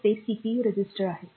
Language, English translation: Marathi, So, they are the CPU registers